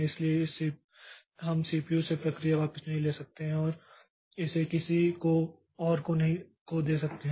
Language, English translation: Hindi, So, we cannot take the process back from the CPU and give it to somebody else